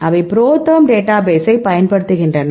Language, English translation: Tamil, So, right they are used the ProTherm database